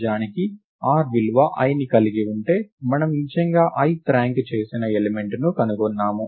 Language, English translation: Telugu, Indeed if r has the value i then we have indeed found the ith ranked element